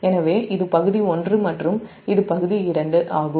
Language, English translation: Tamil, so this is area one and this is area two